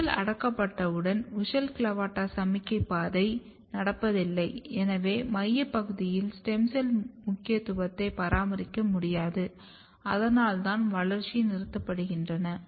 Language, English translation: Tamil, Once you replace the WUSCHEL there is no WUSCHEL there is no WUSCHEL means there is no CLAVATA once the WUSCHEL CLAVATA signaling pathway is lost, then the center region cannot maintain the stem cell niche and that is why the growth terminates